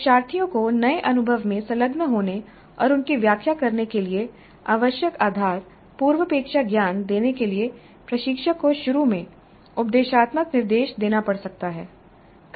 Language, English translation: Hindi, Instructor may have to provide didactic instruction initially to give the learners the foundation prerequisite knowledge required for them to engage in and interpret the new experience